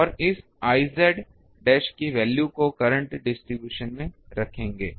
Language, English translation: Hindi, And, will have to put the value of this I z dash the current distribution